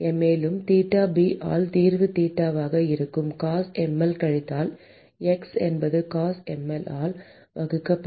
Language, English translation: Tamil, And the solution will be theta by theta b is Cosh mL minus x divided by Cosh mL